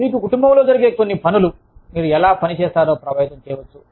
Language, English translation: Telugu, Something going on in your family, can affect, how you work